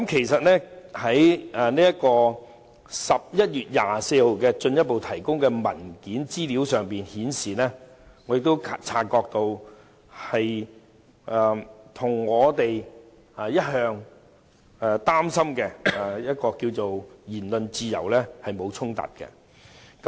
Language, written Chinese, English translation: Cantonese, 11月24日進一步提供的資料文件顯示，提交資料與我們一直關注的言論自由沒有衝突。, The letter further submitted on 24 November reveals that the provision of documents does infringe freedom of speech an issue we have all along been concerned about